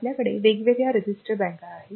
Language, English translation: Marathi, So, like that we have got different registered banks